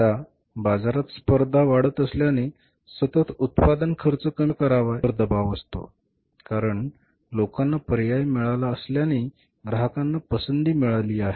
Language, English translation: Marathi, Now since the competition has increased in the market, so continuously they are under pressure how to reduce the cost of production because people have got the choice, customers have got the choice